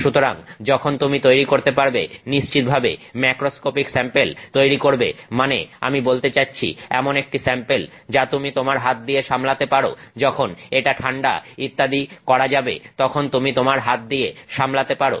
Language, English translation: Bengali, So, while you can create definitely macroscopic samples, I mean samples that you can handle with your hand, at the end of once it is cool, etc